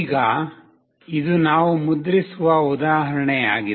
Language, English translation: Kannada, Now, this is an example that we will be printing